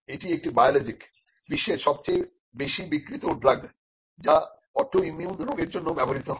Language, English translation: Bengali, Humira is a biologic and it is the world’s largest selling drug which is used for autoimmune diseases